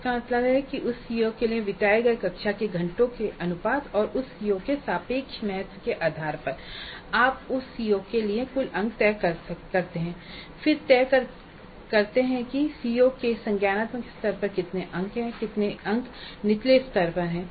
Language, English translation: Hindi, That means based on the proportion of classroom hours spent to that COO and the relative to importance of that CO you decide on the total marks for that COO and then decide on how many marks at the cognitive level of the COO and how many marks at lower levels